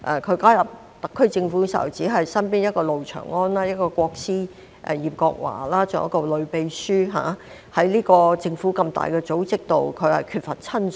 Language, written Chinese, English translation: Cantonese, 他加入特區政府時，身邊只有路祥安，"國師"葉國華，還有一位女秘書，在政府這個大組織內，他缺乏親信。, When he joined the SAR Government he only had Mr Andrew LO Mr Paul YIP who was regarded as his top advisor and a female secretary with him . In this mega organization of the Government he was in lack of trusted aides